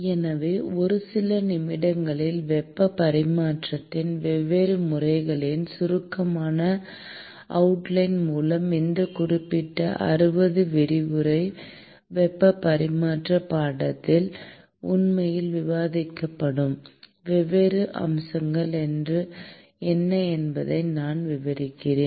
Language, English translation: Tamil, So, with this brief outline of different modes of heat transfer in a few minutes, I will describe what are the different aspects, that will actually be covered in this particular 60 lecture heat transfer course